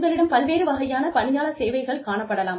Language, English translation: Tamil, You could have various types of employee services